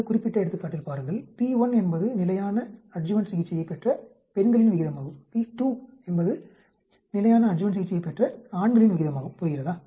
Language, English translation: Tamil, See in this particular example, p1 is the proportion of women who received the standard adjuvant therapy, p2 is a proportion of men who received the standard adjuvant therapy understand